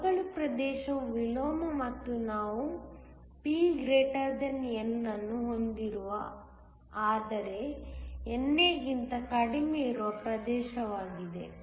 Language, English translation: Kannada, The depletion region is both the inversion and the region, where we have P > N, but less than NA